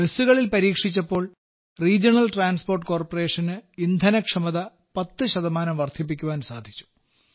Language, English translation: Malayalam, When we tested on the Regional Transport Corporation buses, there was an increase in fuel efficiency by 10 percent and the emissions reduced by 35 to 40 percent